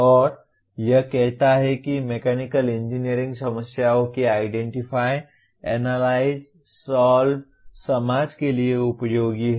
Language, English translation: Hindi, And it says identify, analyze and solve mechanical engineering problems useful to the society